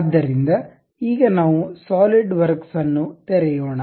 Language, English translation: Kannada, So, now let us open the solidworks